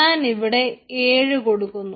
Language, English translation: Malayalam, so i am giving it seven